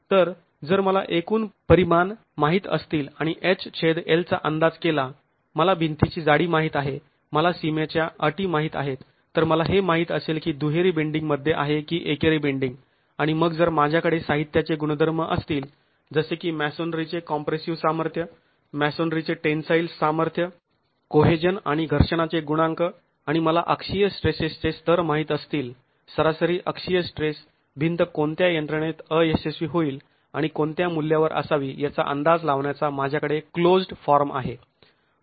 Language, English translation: Marathi, So, if I know the overall dimensions and then estimate H by L, I know the thickness of the wall, I know the boundary conditions, so I know whether it is going to be in double bending or single bending, and then if I have material properties like compressive strength of the masonry, tensile strength of the masonry, cohesion and friction coefficient and I know the level of axial stress, average axial stress I have a close formed way of estimating in what mechanism should the wall fail and at what value